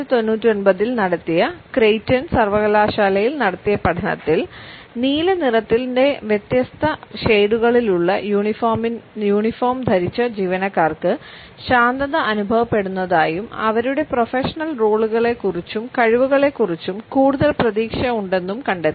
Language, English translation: Malayalam, A study of Creighton University conducted in 1999 found that employees who were wearing uniforms in different shades of blue felt calm and they also felt more hopeful about their professional roles and competence